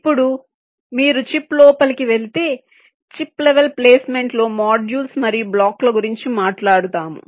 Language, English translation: Telugu, well now, if you go inside the chip chip level placement, you talked about the modules and the blocks